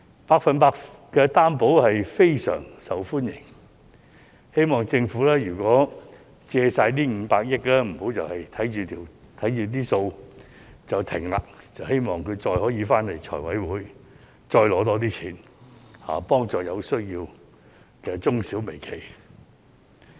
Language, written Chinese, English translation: Cantonese, "百分百擔保特惠貸款"非常受歡迎，希望政府在借出500億元後，不要只看着帳目便暫停，希望會再回到立法會財務委員會申請更多撥款，幫助有需要的中小微企。, The Special 100 % Loan Guarantee is highly popular . After lending out the 50 billion I hope the Government will not simply check the account and then suspend the scheme . It is our wish that the Government can apply for more funding from the Finance Committee of the Legislative Council with a view to helping the micro enterprises and the SMEs in need